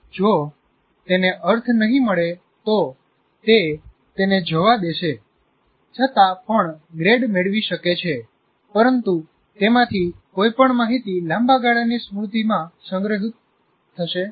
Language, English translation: Gujarati, If he doesn't find meaning, you may pass, you may get still a grade, but none of that information will get stored in the long term memory